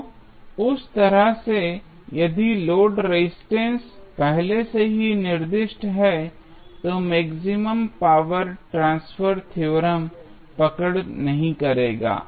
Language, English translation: Hindi, So, in that way, if the load resistance is already specified, the maximum power transfer theorem will not hold